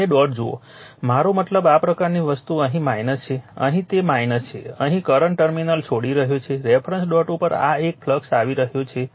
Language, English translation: Gujarati, You see both dot I mean this kind of thing here it is minus here it is minus right here current leave the terminal reference dot is this one it is coming flux right